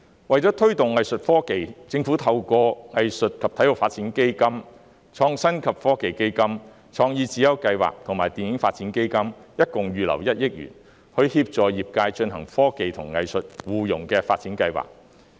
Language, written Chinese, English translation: Cantonese, 為推動藝術科技，政府為藝術及體育發展基金、創新及科技基金、創意智優計劃和電影發展基金合共預留1億元，以協助業界進行科技及藝術互融的發展計劃。, For the promotion of Art Tech the Government has set aside a total of 100 million for the Arts and Sport Development Fund the Innovation and Technology Fund CSI and the Film Development Fund to assist the sector to implement projects that integrate technology and arts